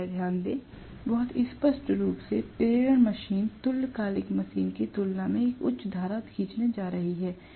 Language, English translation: Hindi, Please note, very clearly induction machine is going to draw a higher current as compared to the synchronous machine